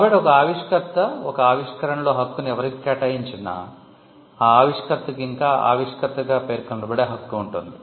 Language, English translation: Telugu, So, wherever an inventor assigns the right in an invention, wherever an inventor assigns the right in an invention, the inventor will still have the right to be mentioned as the inventor